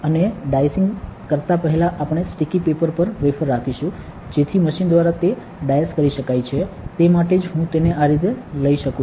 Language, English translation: Gujarati, And before dicing we keep the wafer on a sticky paper, so that it can be diced by the machine that is why I can take it like this